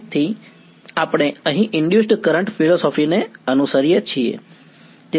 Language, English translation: Gujarati, So, we follow the induced current philosophy over here ok